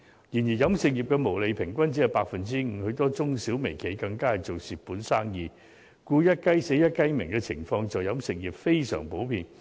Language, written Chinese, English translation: Cantonese, 然而，飲食業的毛利平均只是 5%， 很多中、小、微企更正做蝕本生意，所以"一雞死，一雞鳴"的情況在飲食業非常普遍。, The catering industry earns a gross profit of just 5 % on average while some SMEs and mirco - enterprises are even losing money . So as the saying goes when one cock is dead another one crows . It is a very common phenomenon in the catering industry where new restaurants open for business right after some others have closed down